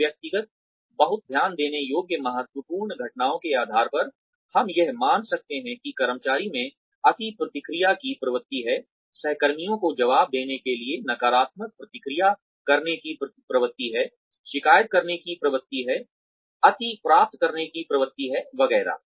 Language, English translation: Hindi, On the basis of these individual, very noticeable critical incidents, we can assume that, the employee has a tendency to over react, has a tendency to respond negatively to answer colleagues, has a tendency to complain, has a tendency to over achieve, etcetera